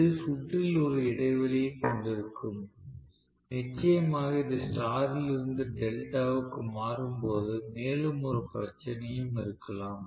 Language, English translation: Tamil, So, this will have a break in the circuit, definitely when it is changing over from star to delta and one more problem also can be